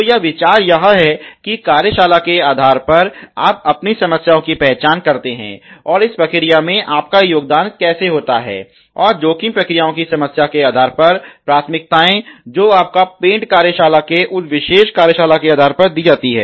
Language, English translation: Hindi, So, the idea is that more on shop bases you identify your own problems and how your contributed in to the process, and priorities based on the ranks for the risk priorities number that you are given on that particular shop bases for a paint shop